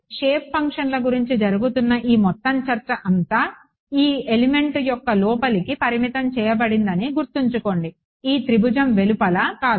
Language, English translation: Telugu, Remember everything all this entire discussion that is happening about the shape functions are limited to the interior of this or the element, this triangle not outside the triangle